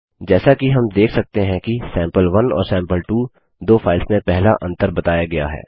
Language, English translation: Hindi, As we can see the first difference between the two files sample1 and sample2 is pointed out